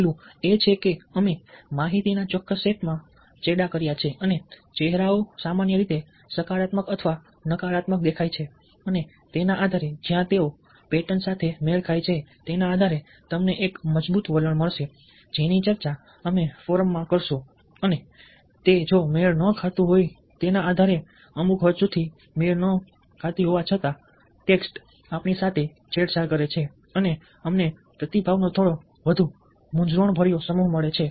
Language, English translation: Gujarati, the first one is that we have a manipulated, a certain set of information and faces in general either look positive or negative and based on that, where they match the patterns, you would have get a strong trend which we will discuss in the forum and, depending on a mismatch, inspite of the mismatch, to a certain extent the text manages to manipulate us and we get a slightly more confused, diluted set of responses